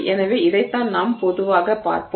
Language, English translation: Tamil, So, this is what we will look at